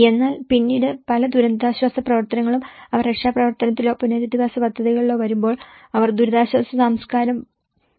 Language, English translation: Malayalam, But then the many of the relief operations, when they come into the rescue or the rehabilitation projects, they try to reject and in favour of the systems familiar to an exercised by the relief culture